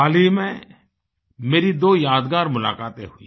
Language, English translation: Hindi, Just recently I had two memorable meetings